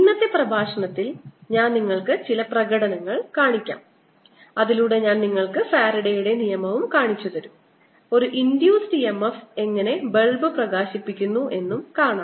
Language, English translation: Malayalam, in today's lecture i am going to show you some demonstrations whereby i'll show you faraday's law, how an induced e m f lights a bulb